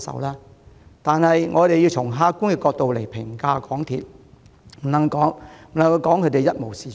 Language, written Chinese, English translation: Cantonese, 可是，我們也須從客觀角度評價港鐵，不能把它說成一無是處。, Yet instead of dismissing the corporation as completely worthless we should take an objective view in judging MTRCL